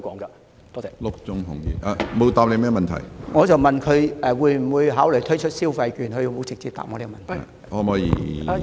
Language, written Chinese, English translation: Cantonese, 我問局長會否考慮推出消費券，他卻沒有直接回答我這個問題。, President I asked the Secretary whether he would consider introducing consumption vouchers but he did not answer my question directly